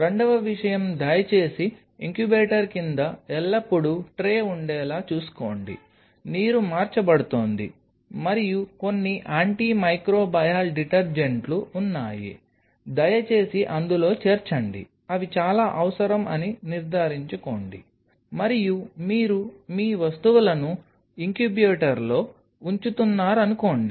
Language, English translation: Telugu, Second thing please ensure that the there is always a tray underneath the incubator, that water is being changed and there are certain antimicrobial detergents which are present you please add in that ensure that very essential, and suppose you are placing your stuff inside the incubator